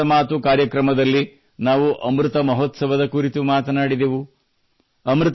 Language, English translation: Kannada, today in 'Mann Ki Baat' we talked about Amrit Mahotsav